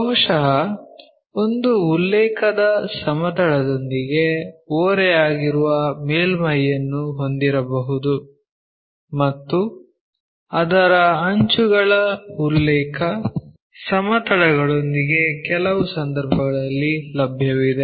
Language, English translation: Kannada, Possibly, we may have surface inclination with one of the reference planes and inclination of its edges with reference planes also available in certain cases